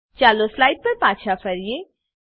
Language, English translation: Gujarati, Lets switch back to slides